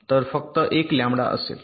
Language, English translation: Marathi, separation is one lambda